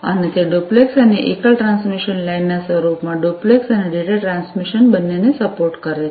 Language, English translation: Gujarati, And, it supports both duplex and you know, data transmission in the form of duplex, and single you know transmission lines